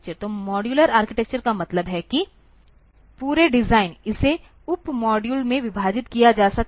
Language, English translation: Hindi, So, modular architecture means that the entire design, it can be divided into sub modules